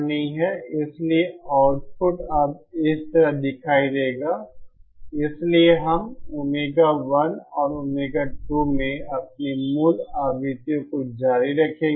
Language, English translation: Hindi, So the output will now look like this, so we will continue having our original frequencies at omega 1 and omega 2